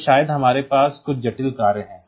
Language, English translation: Hindi, So, maybe we have to have some complex function